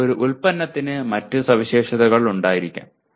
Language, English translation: Malayalam, But a product may have other specifications